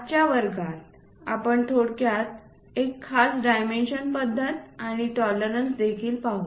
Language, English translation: Marathi, In today's class we will briefly look at special dimensioning thing and also tolerances